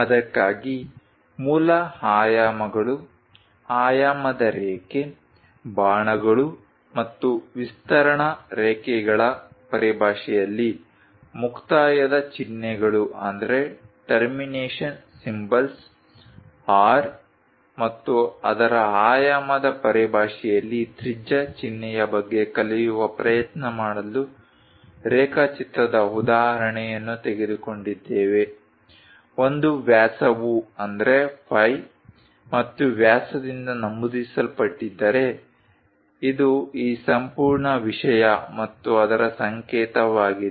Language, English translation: Kannada, For that, we have taken an example of a drawing try to learn about the basic dimensions, the dimension line, the termination symbols in terms of arrows and extension lines, radius symbol in terms of R and its dimension, if a diameter is involved denoted by phi and diameter is this entire thing and its symbol